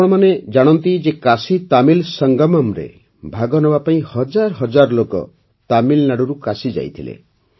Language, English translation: Odia, You know that thousands of people had reached Kashi from Tamil Nadu to participate in the KashiTamil Sangamam